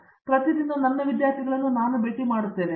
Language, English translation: Kannada, So, I see to it I meet my students every day